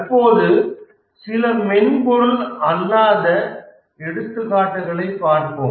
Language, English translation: Tamil, But then let's look at some non software examples of projects